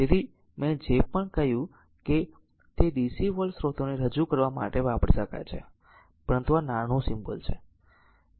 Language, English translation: Gujarati, So, that is why the; whatever I said that can be used to represent dc voltage source, but the symbol of this thing can also